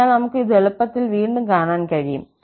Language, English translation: Malayalam, So, we can easily see this again